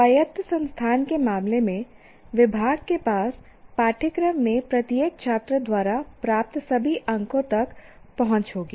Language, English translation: Hindi, In the case of autonomous institution, the department will have access to all the marks obtained by each student in the course